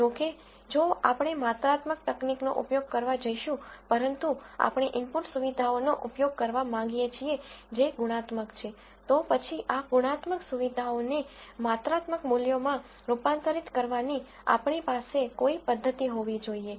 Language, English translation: Gujarati, However, if we have going to use a quantitative technique, but we want to use input features which are qualitative, then we should have some way of converting this qualitative features into quantitative values